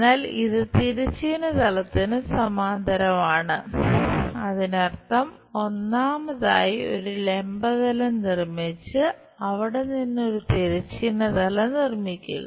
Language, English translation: Malayalam, But it is parallel to horizontal plane; that means, first of all construct a vertical plane from there construct a horizontal plane